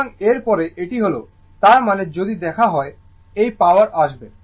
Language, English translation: Bengali, So, next is this that; that means, if you look into this, power will come